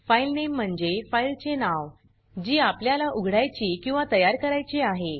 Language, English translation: Marathi, filename is the name of the file that we want to open or create